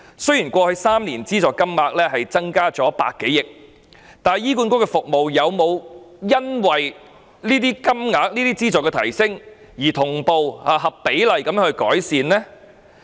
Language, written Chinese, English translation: Cantonese, 雖然過去3年的資助金額增加100多億元，但醫管局的服務有否因為資助金額上升而同步合比例地改善呢？, While the subsidy amount has increased by some 10 billion over the past three years have HAs services shown proportionate improvements with the increased subsidy amount at the same pace?